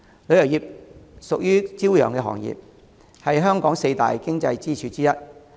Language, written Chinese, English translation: Cantonese, 旅遊業屬於朝陽行業，是香港四大經濟支柱之一。, The tourism industry is a burgeoning industry one of the four significant economic pillars of Hong Kong